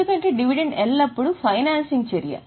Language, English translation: Telugu, Because dividend is always a financing activity